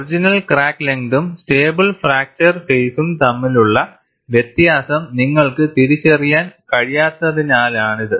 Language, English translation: Malayalam, This is because you will not be able to distinguish between original crack length and the phase followed during stable fracture